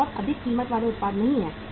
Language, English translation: Hindi, These are very highly priced products right